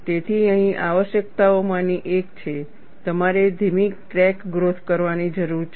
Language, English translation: Gujarati, So, one of the requirements here is, you will need to have slow crack growth